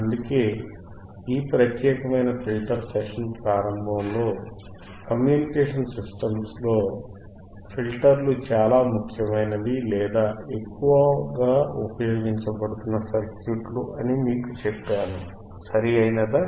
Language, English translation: Telugu, That is why, at the starting of this particular filter session, we talked that filters are the most important or highly used circuits in the communication systems, right